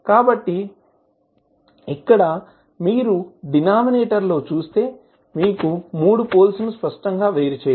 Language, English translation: Telugu, So, here you can see in the denominator, you can clearly distinguish all three poles